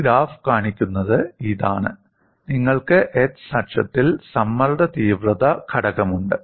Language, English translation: Malayalam, What this graph shows is, you have stress intensity factor on the x axis